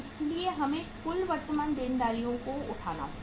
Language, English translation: Hindi, So we will have to take the total current liabilities